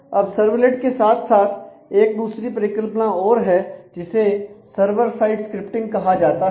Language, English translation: Hindi, Now, along with the servlet there is another concept which is called server side scripting